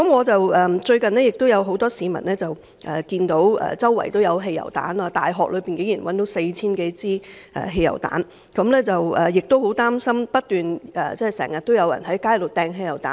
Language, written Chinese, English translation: Cantonese, 最後，很多市民看到四處也有汽油彈，大學內竟然發現4000多枚汽油彈，大家都十分擔心，因為經常有人在街上擲汽油彈。, Finally many members of the public have noticed that petrol bombs are found everywhere . There are as many as 4 000 petrol bombs in the campus of a university . We are deeply worried about that as petrol bombs are hurled frequently on the streets